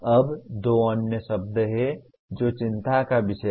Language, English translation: Hindi, Now there are two other words that are of concern